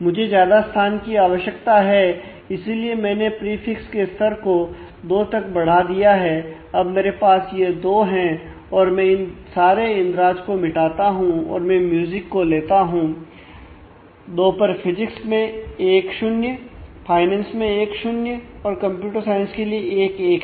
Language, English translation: Hindi, So, I need more space; so, I have increased the prefix level to 2 going here and now naturally I have if I have increases to 2; now I have let me erase this these entries and now I look at for music I look at 2 for physics 1 0, for finance 1 0, for computer science 1 1